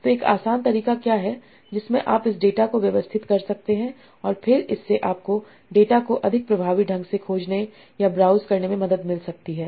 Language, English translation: Hindi, So what is an easy way in which you can some sort of organize this data and then this can help you to search or browse through this data much more effectively